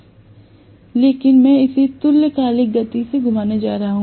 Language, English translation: Hindi, But I am going to rotate this at synchronous speed